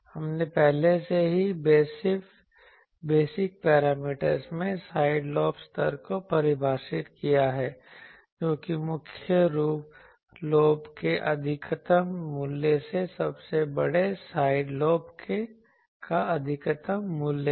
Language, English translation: Hindi, We have already defined side lobe level in the basic parameters that is the maximum value of largest side lobe largest value side lobe by the maximum value of main lobe